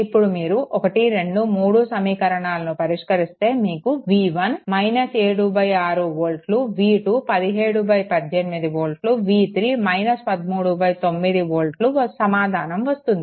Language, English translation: Telugu, Now, the way you want you solve solving equation 1 2 and 3 you will get v 1 is equal to minus 7 by 6 volt v 2 is equal to 17 by 18 volt, v 3 is equal to minus 13 by 9 volt